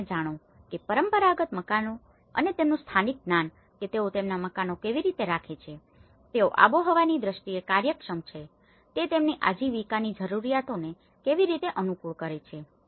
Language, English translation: Gujarati, And the traditional houses you know and their indigenous knowledge how they oriented their houses, they are climatically efficient, how it suits their livelihood needs